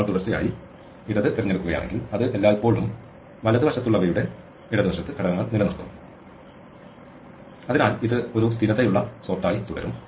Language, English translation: Malayalam, If we consistently choose the left then it will always keep elements on to the left to the left of the ones in the right and therefore, it will remain a stable sort